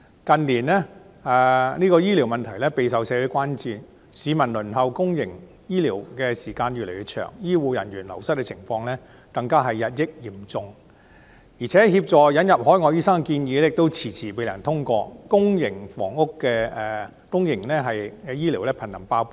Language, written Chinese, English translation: Cantonese, 近年，醫療問題備受社會關注，市民輪候公營醫療服務的時間越來越長，醫護人員流失的情況更日益嚴重，引入海外醫生的建議亦遲遲未能通過，公營醫療瀕臨"爆煲"。, In recent years the health care issue has been a grave concern in society . The waiting time for public health care services is getting increasingly longer the departure of health care staff is deteriorating the proposal of admitting overseas doctors has yet to be approved and the public health care system is on the brink of a breakdown